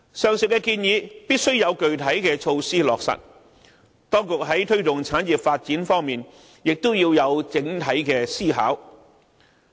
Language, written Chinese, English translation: Cantonese, 上述建議必須有具體措施來落實，當局在推廣產業發展方面也須作出整體考慮。, Specific measures should be drawn up to implement the proposal and the Government should also consider the issue as a whole when attempts are made to promote the development of industries